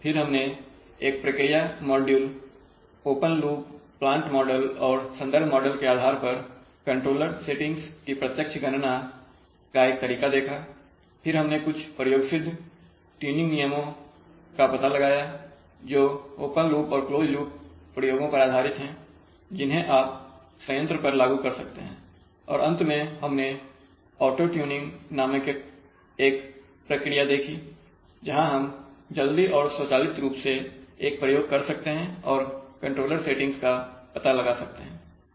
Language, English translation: Hindi, Then we saw a method of direct computation of controller settings based on a process module open loop plant model and the reference model then we found out some empirical tuning rules which are based on open loop and closed loop experiments that you can perform on the plant and finally we saw a procedure called auto tuning where we could quickly and automatically do an experiment and find out the controller settings